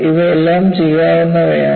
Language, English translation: Malayalam, These are all doable